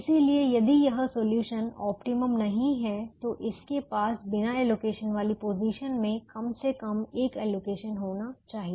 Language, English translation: Hindi, therefore, if this solution is not optimum, then it should have at least one allocation in a unallocated position